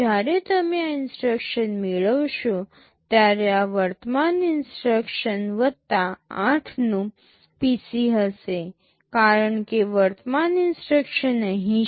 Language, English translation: Gujarati, When you are fetching this instruction, this will be the PC of the current instruction plus 8, because current instruction is here